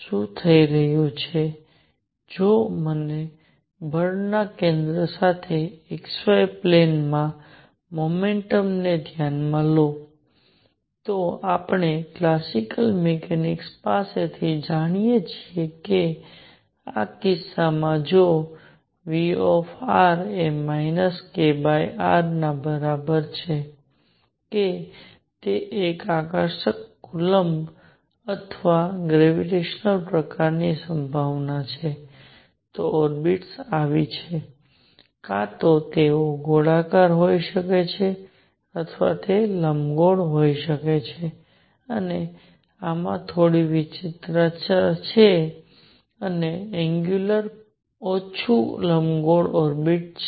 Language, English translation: Gujarati, What is happening is that if you consider the motion in the x y plane with centre of force, we know from classical mechanics that in this case if V r is equal to minus k over r that is it is an attractive coulomb or gravitation kind of potential, then the orbits are like this either they could be circular or they could be elliptical and this has some eccentricity and larger the angular momentum less elliptical is the orbit